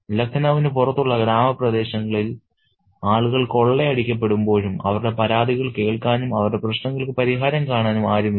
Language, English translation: Malayalam, So, even when people are being robbed in the countryside, outside of Lucknow, there is nobody who could listen to the complaints and get redressile for their problems